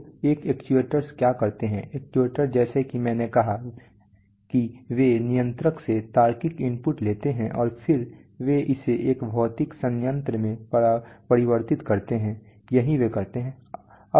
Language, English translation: Hindi, So what do actuators do, actuators as I said that they take the logical input from the controller and then they convert it to a physical plant in it, that is what they do